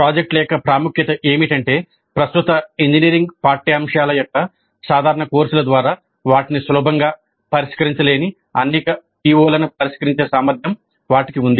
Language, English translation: Telugu, The importance of projects is that they have the potential to address many POs which cannot be addressed all that easily by typical courses of present day engineering curricula